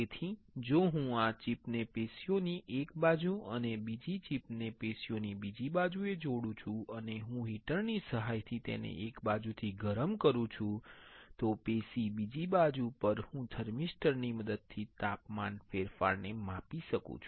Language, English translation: Gujarati, So, if I attach this chip on one side of the tissue and another chip on the another side of the tissue right and I apply I heat it from one side with the help of heater, I can measure the change in a temperature with the help of thermistor on other side of the tissue